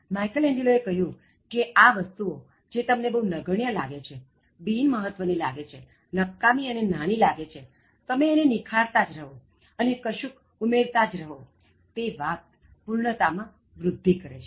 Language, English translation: Gujarati, Michelangelo says that, these things which appear to be immaterial, negligible, useless small little things, so when you keep touching them and when you keep adding them that adds to perfection